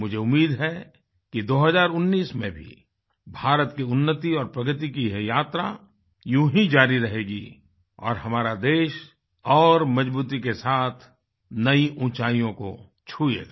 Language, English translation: Hindi, I sincerely hope that India's journey on the path of advancement & progress continues through 2019 too